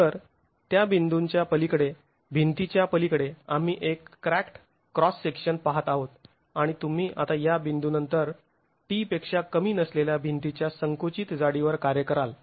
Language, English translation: Marathi, So beyond that point, we're looking at a cracked cross section and you have now work on the compressed thickness of the wall, which is less than T after this point